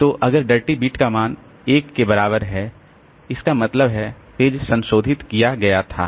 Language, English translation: Hindi, So, if the dirty bit is made equal to 1, that means the page was modified